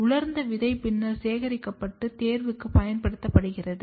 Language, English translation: Tamil, The dried seed is then collected and used for selection